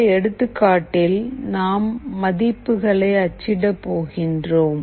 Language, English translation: Tamil, Now, this is an example that we will be printing